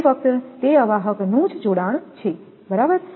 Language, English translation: Gujarati, That is only connection of those insulators right